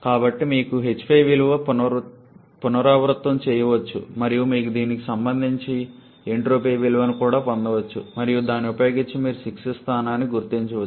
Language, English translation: Telugu, So, you can generally superheated so you can replicate the value of h 5 and then you can also get the value of entropy corresponding to this and using that you can identify the location of 6s